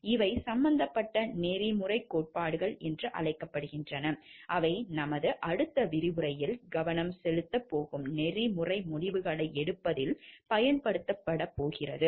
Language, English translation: Tamil, These are called the ethical theories which are involved, that are used in making ethical decisions which we are going to focus on in our next lecture